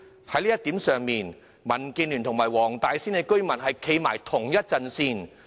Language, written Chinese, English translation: Cantonese, 在這方面，民建聯與黃大仙居民站在同一陣線。, In this respect DAB is standing shoulder to shoulder with Wong Tai Sin residents